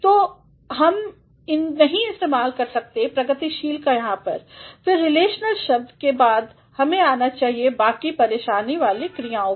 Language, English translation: Hindi, So, we cannot make use of progressive here, again after relational words we should let us come to some other troublesome verbs